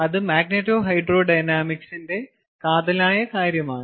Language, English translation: Malayalam, ok, so that is the crux of magneto hydro dynamics